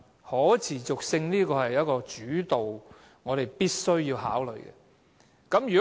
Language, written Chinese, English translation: Cantonese, 可持續性是一個主導因素，我們必須考慮。, Sustainability is a leading factor that we must consider